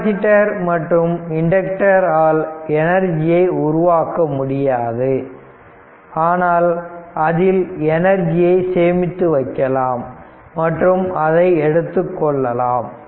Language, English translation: Tamil, So, capacitors and inductors do not generate energy only the energy that has been put into these elements and can be extracted right